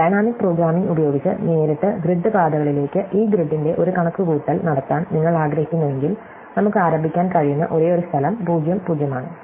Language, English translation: Malayalam, So, if you want to do a computation of this grid to grid paths directly using dynamic programming, the only place we can start is (, right